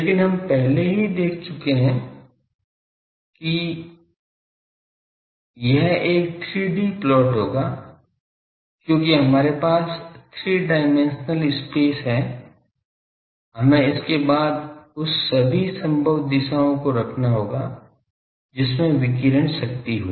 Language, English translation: Hindi, But we have already seen that this will be a 3D plot, because we have 3 that we have 3 in the three dimensional space, we will have to then put that at which all possible directions what is the radiated power